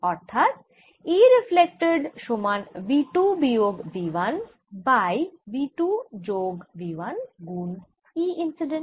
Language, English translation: Bengali, and this gives e reflected is equal to two minus v one over v two plus v one e incident